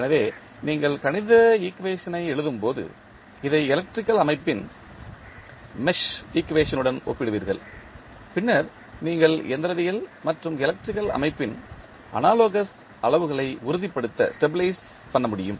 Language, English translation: Tamil, So, when you write the mathematical equation you will compare this with the mesh equation of the electrical system and then you can stabilize the analogous quantities of mechanical and the electrical system